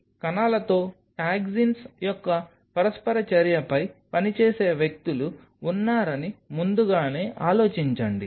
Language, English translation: Telugu, So, think in advance all there are people who work on kind of an interaction of toxins with the cells